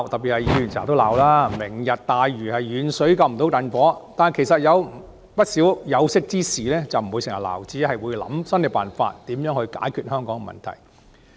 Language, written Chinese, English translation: Cantonese, 議員經常批評"明日大嶼"是遠水不能救近火，但其實不少有識之士不會只批評，而是會想出新方法解決香港的問題。, Some Members often criticize the Lantau Tomorrow project as being distant water that cannot quench a fire nearby . However many people of insight do not merely make criticisms . Rather they come up with new ideas to solve Hong Kongs problems